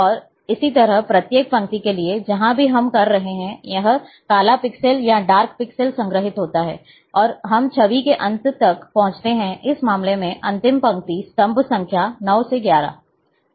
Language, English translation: Hindi, And likewise, for each row, wherever we are having, this black pixel or dark pixel is stored, and a till we reach to the end of the image, the last row in this case, last row column number 9 to 11